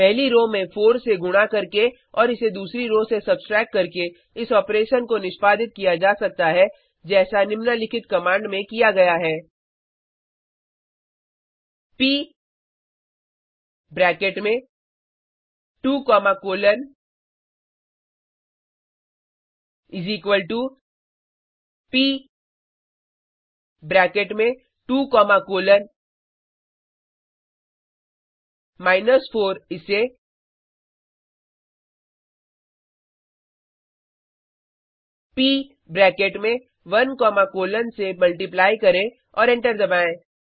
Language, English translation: Hindi, The operation can be executed by multiplying the first row by 4 and subtracting it from the second row as in the following command: P into bracket 2 comma colon is equal to P into bracket 2 comma colon minus 4 multiplied by P into bracket 1 comma colon and press enter The procedure can be extended to larger systems and to other forms of elementary column operations